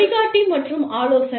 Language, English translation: Tamil, Guide and advise